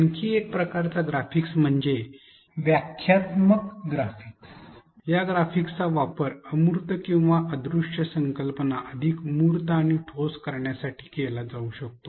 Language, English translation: Marathi, Another kind of graphics is the interpretive graphics, these graphics can be used to make the intangible or invisible concepts more tangible and concrete